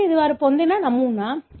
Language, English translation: Telugu, So, this is the pattern that they got